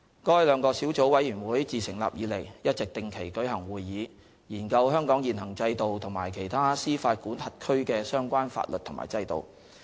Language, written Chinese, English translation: Cantonese, 該兩個小組委員會自成立以來，一直定期舉行會議，研究香港現行制度和其他司法管轄區的相關法律和制度。, Since their establishment the two Sub - committees have been meeting on a regular basis . The Sub - committees are studying Hong Kongs existing system and the laws and systems of other jurisdictions